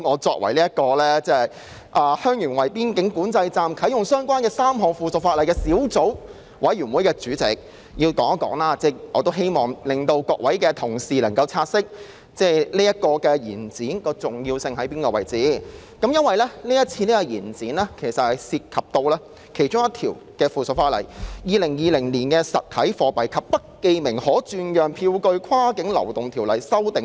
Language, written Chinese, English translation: Cantonese, 作為與香園圍邊境管制站啟用相關的3項附屬法例的小組委員會主席，我讀出秘書處的發言稿後，要繼續發言，讓各位同事察悉延展相關附屬法例審議期限的重要性，因為其中涉及《2020年實體貨幣及不記名可轉讓票據跨境流動條例公告》。, As Chairman of the Subcommittee on Three Pieces of Subsidiary Legislation Relating to the Commissioning of Heung Yuen Wai Boundary Control Point I have to continue speaking after reading out the Secretariats speaking note so that fellow colleagues will understand the importance of extending the period for deliberation of the relevant subsidiary legislation . The reason is that the Cross - boundary Movement of Physical Currency and Bearer Negotiable Instruments Ordinance Notice 2020 the Notice is involved